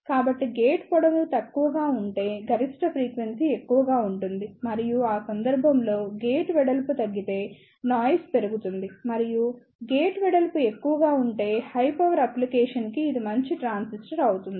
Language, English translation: Telugu, So, if the gate length is less, the maximum frequency will be more and if the gate width is reduced in that case the noise performance will prove and if the gate width is high, this will be a better transistor for the high power application